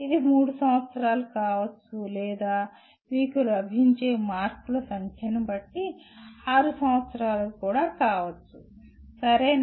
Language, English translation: Telugu, It could be 3 years or it could be 6 years depending on the number of marks that you get, okay